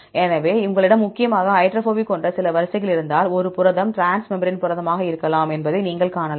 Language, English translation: Tamil, So, if you have some sequences which are predominantly hydrophobic then you can see that protein could be a transmembrane protein